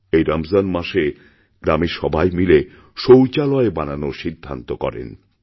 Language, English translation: Bengali, During this Ramzan the villagers decided to get together and construct toilets